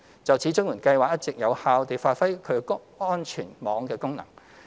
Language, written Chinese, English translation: Cantonese, 就此，綜援計劃一直有效地發揮其安全網功能。, In this connection CSSA Scheme has been functioning effectively as a safety net